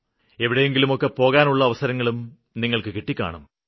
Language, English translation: Malayalam, You must have had the opportunity to visit some other places